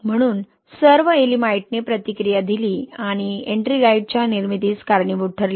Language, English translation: Marathi, So all Ye'elimite has reacted and led to the formation of Ettringite, right